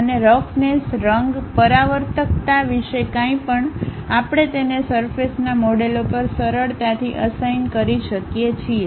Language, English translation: Gujarati, And anything about roughness, color, reflectivity; we can easily assign it on surface models